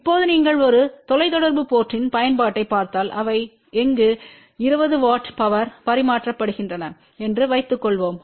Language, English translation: Tamil, Now supposing that if you look at a telecom sector application where they are transmit about 20 watt of power